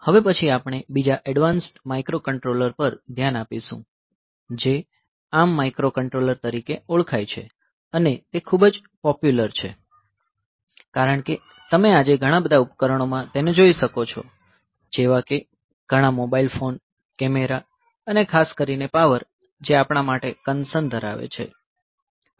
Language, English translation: Gujarati, We will next look into another very advanced microcontroller which is known as ARM microcontroller and it is one of the very popular ones, because of the fact that many of the devices that you find today, many of the mobile phones, I think cameras and all that, for particularly the power is a concern